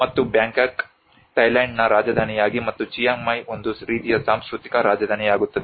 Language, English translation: Kannada, And the Bangkok becomes a capital city of the Thailand and Chiang Mai becomes a kind of cultural capital